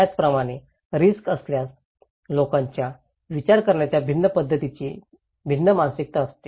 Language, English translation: Marathi, Similarly, in case of risk people have very different mindset of different way of thinking